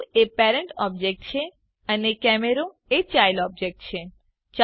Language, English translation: Gujarati, The cube is the parent object and the camera is the child object